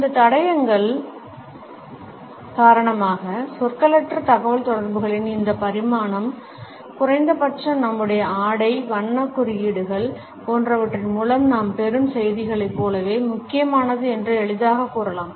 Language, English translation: Tamil, Because of these clues we can easily say that this dimension of nonverbal communication is at least as important as the messages which we receive through our dress, the colour codes etcetera